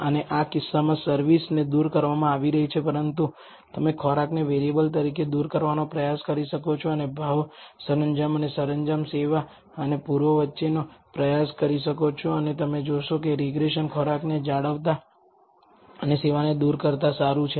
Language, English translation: Gujarati, And in this case service is being removed, but you can try removing food as the variable and try to t between price, decor and decor service and east and you will find that the regression is as good as retaining food and eliminating service